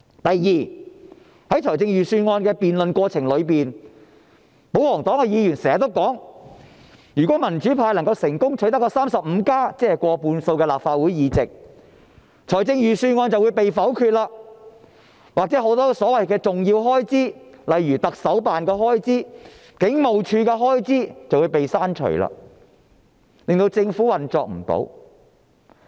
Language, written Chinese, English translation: Cantonese, 第二，在預算案的辯論過程中，保皇黨的議員經常說，如果民主派能夠成功取得 "35+"， 即立法會過半數議席，預算案便會遭否決，又或很多所謂的重要開支，例如行政長官辦公室或警務處的開支，便會被刪除，令政府無法運作。, Secondly during the debate on the Budget Members of the pro - Government camp often said that if the democrats could successfully secure 35 seats that is more than half of the seats in the Legislative Council the Bill could be vetoed and the many so - called important expenditures such as those for the Chief Executives Office and the Hong Kong Police Force could be deleted . Then the operation of the Government would come to a standstill